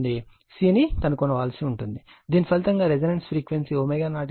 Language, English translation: Telugu, You have to find C, which results in a resonance omega 0 is equal to 5000 radian per second right